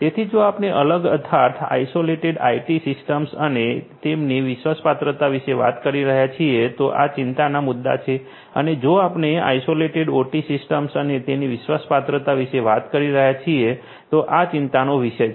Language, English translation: Gujarati, So, these are the issues of concern if we are talking about isolated IT systems and their trustworthiness and these are the issues of concern if we are talking about isolated OT systems and they are trustworthiness